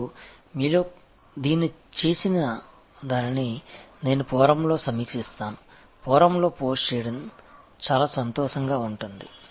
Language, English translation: Telugu, And those of you will be doing it, I will be very happy to review them on the Forum, post them on the Forum